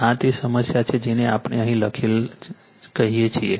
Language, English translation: Gujarati, This is the problem your what we call written here right